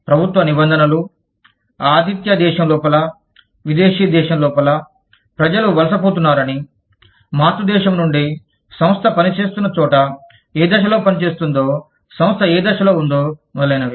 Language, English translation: Telugu, We are talking about, government regulations, within the host country, within the foreign country, that people are migrating, from within the parent country, where the organization is operating, whether which stage of operation, the organization is at, etcetera